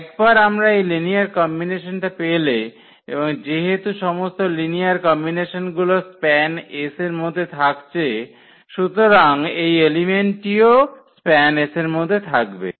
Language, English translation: Bengali, So, once we have this linear combination and all the linear combinations belongs to this span S so, this element will also belong to span S